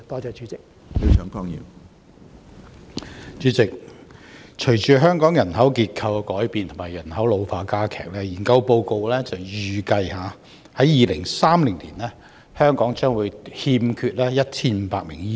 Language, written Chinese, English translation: Cantonese, 主席，隨着香港人口結構改變及人口老化加劇，有研究報告預計，在2030年，香港將欠缺1500名醫生。, President with the changing demographic structure and the rapidly ageing population in Hong Kong some research reports have estimated that there will be a shortage of 1 500 doctors in Hong Kong in 2030